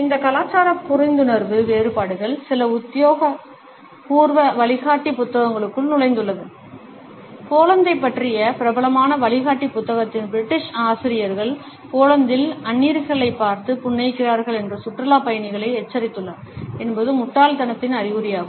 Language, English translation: Tamil, These cultural differences of understanding have seeped into some official guide books and British authors of a popular guidebook about Poland have warn tourists that is smiling at strangers in Poland is perceived is a sign of stupidity